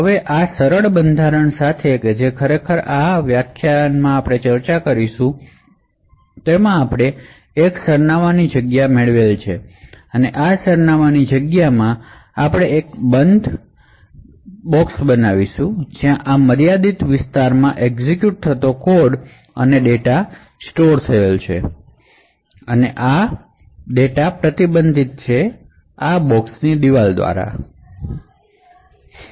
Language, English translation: Gujarati, So now with this fine grained confinement which will actually discuss in this particular lecture what we would be able to do is obtain one address space and within this address space so we would create a closed compartment where code and data executing in this confined area is restricted by the walls of this compartment